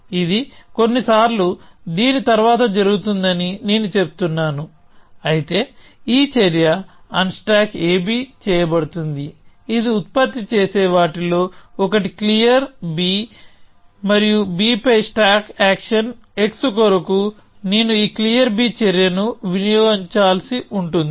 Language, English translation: Telugu, I am saying this happens after this sometimes, but this action unstack a b; one of the things it produces is clear b and for the stack action x on b, I need to consume this clear b action